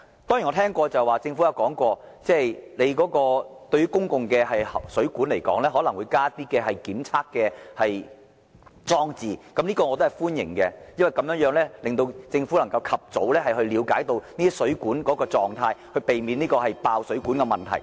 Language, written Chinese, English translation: Cantonese, 當然，我知道政府已曾表示會在公共水管加上檢測裝置，我歡迎這項措施，因為這樣能令政府及早了解水管的狀態，避免出現爆水管的問題。, As far as I know the Government has indicated that it will install monitoring and sensing devices to water mains . I welcome this measure because this will enable the Government to understand the condition of water mains as soon as possible and thereby avoiding the problem of water main bursts